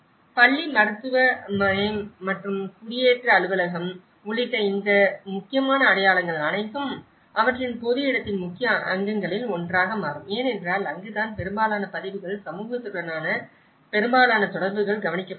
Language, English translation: Tamil, And all these important landmarks including the school, medical clinic and the settlement office becomes one of the major component of their public place as well because that is where most of the records, most of the association with the community is taken care of